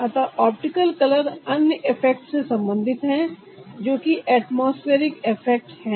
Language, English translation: Hindi, so optical color is related to another effect is the atmospheric effect